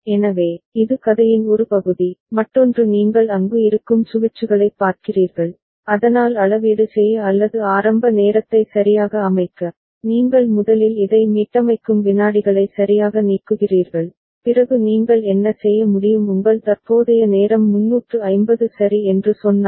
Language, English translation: Tamil, So, that is one part of the story, the other one is what you see the switches that are there so to calibrate or to set the initial timing right, you first disengage this one the reset seconds right, then what you can do If you if your current time is say 350 ok